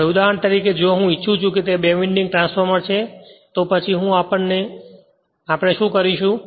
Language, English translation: Gujarati, Now for example, if I want it is a two winding transformer, then what I will what we will do